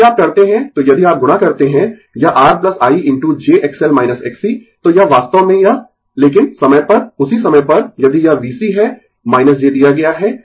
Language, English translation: Hindi, So, if you do, so if you multiply this R plus I into j X L minus X C, so this is actually this, but at the time same time if it is V C is given minus j